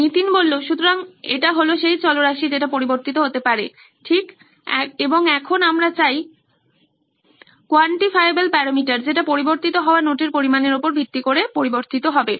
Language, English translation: Bengali, So this is the variable that can change, right, and now we want a quantifiable parameter that will change based on the amount of notes that is being changed